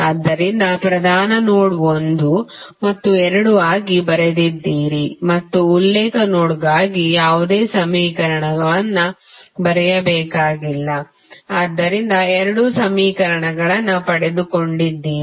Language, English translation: Kannada, So, you have written for principal node 1 and 2 and you need not to write any equation for reference node, so you got two equations